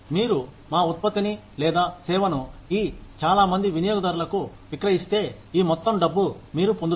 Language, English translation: Telugu, If you sell our product or service, to these many customers, then this is the amount of money, you will get